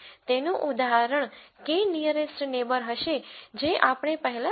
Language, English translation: Gujarati, So, an example of that would be the K nearest neighbour that we saw before